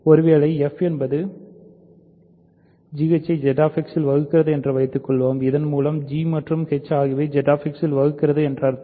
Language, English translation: Tamil, Suppose f divides g h in Z X of course, right by which I mean g and h are in Z X